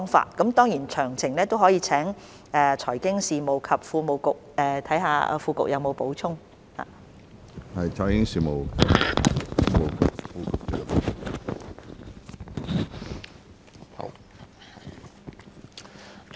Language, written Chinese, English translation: Cantonese, 當然，有關的詳情也可以看看財經事務及庫務局副局長有否補充。, Of course we may also see if the Under Secretary for Financial Services and the Treasury has anything to add